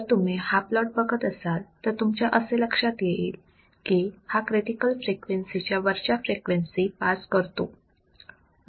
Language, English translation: Marathi, So, if you see this particular plot what we find is that it will allow or it will allow frequencies which are above critical frequencies